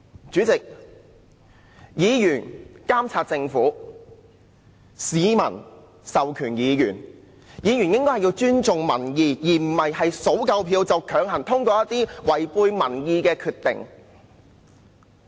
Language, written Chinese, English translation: Cantonese, 主席，議員監察政府，議員由市民授權，議員應該尊重民意，而不是票數足夠便強行通過一些違背民意的項目。, President councillors carry the peoples mandate to monitor the Government . They should respect their opinions and should not push through unpopular projects such because they have secured enough votes